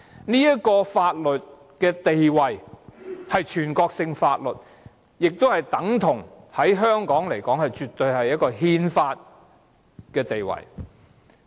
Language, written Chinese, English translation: Cantonese, 這項法律的地位是全國性法律，對香港而言，絕對等同具憲法地位。, This Law has the status of national law and insofar as Hong Kong is concerned its status is absolutely equivalent to that of a constitution